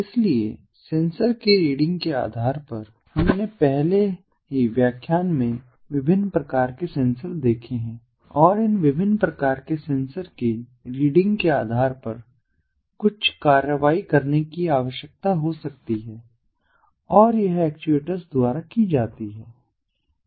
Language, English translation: Hindi, so, based on the readings of the sensor we have already seen different types of sensors in the previous lecture and based on the readings of these different types of sensors, some action might be required to be taken and that is done by actuators